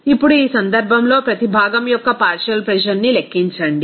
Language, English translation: Telugu, Now, in this case, calculate the partial pressure of each component